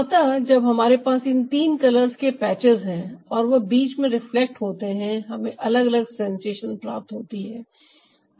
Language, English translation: Hindi, so when we have this ah, three patches of color and they are reflected in between, we get different sensations